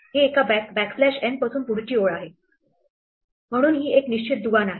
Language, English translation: Marathi, It is from one backslash n to the next is what a line, so this is not a fixed link